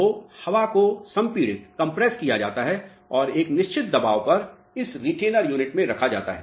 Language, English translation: Hindi, So, air is compressed and it is retained in this retainer unit at a certain pressure